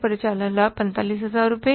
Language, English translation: Hindi, Operating profit is 45,000 rupees